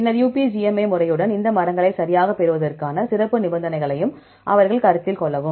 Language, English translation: Tamil, Then along with the UPGMA method, they considered special conditions to derive these trees right